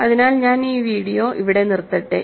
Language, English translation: Malayalam, So, let me stop the video here